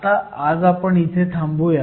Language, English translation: Marathi, So, we will stop here for today